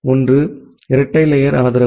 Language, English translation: Tamil, One is the dual stack support